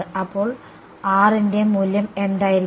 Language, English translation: Malayalam, So, what will that value of R be